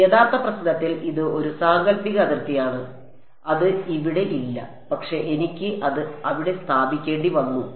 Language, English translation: Malayalam, It is a hypothetical boundary in the actual problem it is not there, but I had to put it there